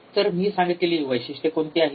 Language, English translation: Marathi, So, what are the characteristics